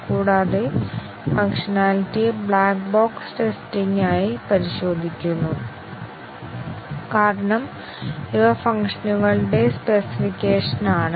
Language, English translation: Malayalam, And, the functionality is tested as black box testing because these are the specification of the functions